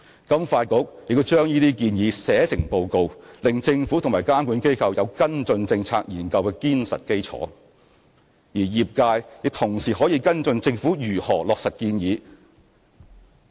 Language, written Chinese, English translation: Cantonese, 金發局亦把這些建議寫成報告，令政府及監管機構有跟進政策研究的堅實基礎；而業界亦同時可以跟進政府如何落實建議。, FSDC has also released a series of reports to illustrate the suggestions they have made so as to provide a sound basis for the Government and regulatory bodies to follow up on the findings of its policy researches and for members of the sector to follow up the Governments implementation of the relevant suggestions